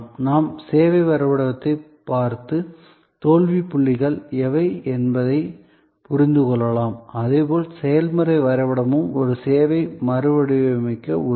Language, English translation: Tamil, We can look at the service map and understand, which are the failure points, in the same way process mapping can also help us to redesign a service